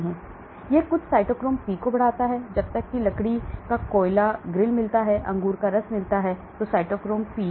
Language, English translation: Hindi, So it enhances some cytochrome P when a charcoal grill gets, grapefruit juice CYP cytochrome P3A